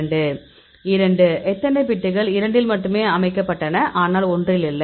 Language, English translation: Tamil, 2; how many bits set only in 2, but not in 1